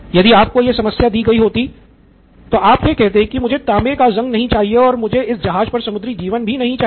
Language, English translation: Hindi, If you were given this problem and you would have said I want no copper corrosion and I do not want marine life on this ship